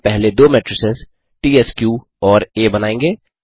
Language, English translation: Hindi, We will first generate the two matrices tsq and A